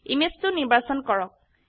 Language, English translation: Assamese, Select Image 2